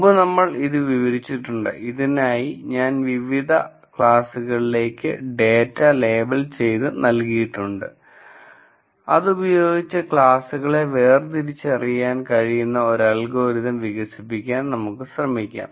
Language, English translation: Malayalam, So, we have described this before if I am given data that is labelled to different classes that is what I start with, then if I am able to develop an algorithm which will be able to distinguish these classes